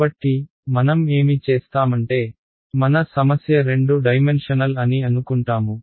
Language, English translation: Telugu, So, what I will do is, I will assume that my problem is two dimensional ok